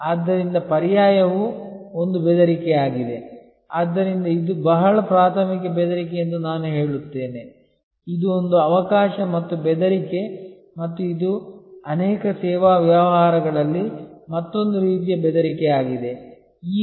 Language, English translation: Kannada, So, substitution is also a threat, so I would say this is a very primary threat, this is an opportunity as well as a threat and this is another kind of threat in many service businesses